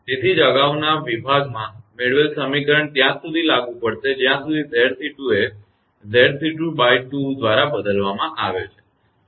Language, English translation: Gujarati, That is why the equation developed in the previous section are applicable as long as Z c 2 is replaced by half Z c 2